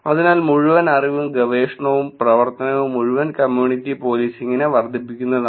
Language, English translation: Malayalam, So, the whole body of knowledge, body of research, body of work is to actually look at increase the community policing right